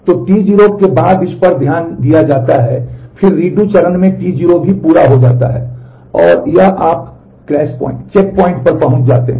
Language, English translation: Hindi, So, T 0 after this is taken care of, then in the redo phase T 0 is also complete and this in where you reach the crash point